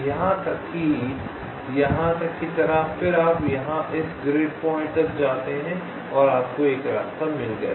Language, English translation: Hindi, then you go here up to this grid point and you have got a path